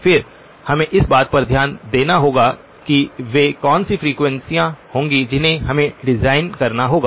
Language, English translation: Hindi, Then, we would have to relook at what would be the frequencies that we would have to design